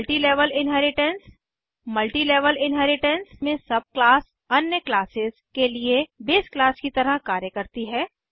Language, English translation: Hindi, Multilevel inheritance In Multilevel inheritance the subclass acts as the base class for other classes